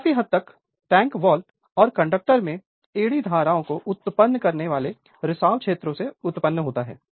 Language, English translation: Hindi, It largely results for your from leakage fields inducing eddy currents in the tank wall and the conductors right